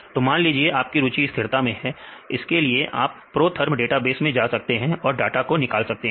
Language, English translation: Hindi, So, you can for example, if you are interested in the stability you can go to protherm database and you can get the data when you get the data